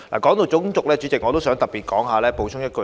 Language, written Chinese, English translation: Cantonese, 代理主席，談到種族，我想特別補充一點。, Deputy President I would like to add one point about race